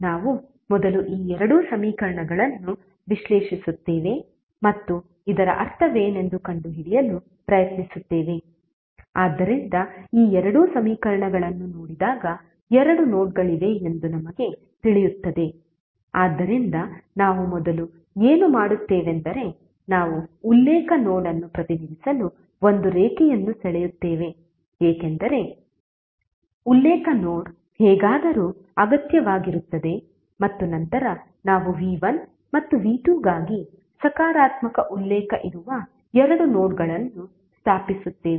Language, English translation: Kannada, We will first analyze these two equations and try to find out what does it mean, so when we see this two equations we come to know that there are two nodes, so what we will do first we will draw a line to represent the reference node because the reference node is anyway required and then we stabilize two nodes at which the positive reference for v1 and v2 are located